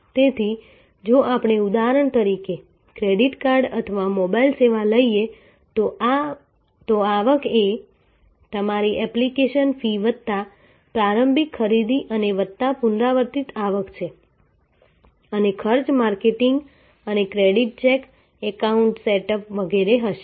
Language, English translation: Gujarati, So, revenues are in a if we take for example, credit card or mobile service, then revenues are your application fee plus initial purchase and plus recurring revenues coming and costs will be marketing and the credit check, setting up the account and so on